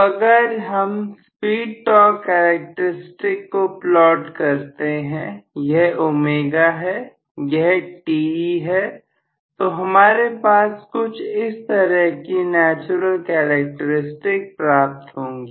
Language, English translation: Hindi, So, if I try to plot, the speed torque characteristics, this is omega, this is Te, so I am going to have may be the natural characteristic somewhat like this